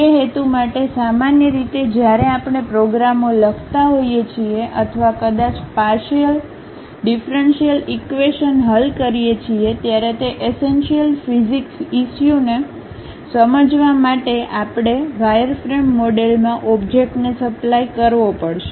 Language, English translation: Gujarati, For that purpose, usually when we are writing programs or perhaps solving partial differential equations, to understand those essential physics issues we have to supply the object in a wireframe model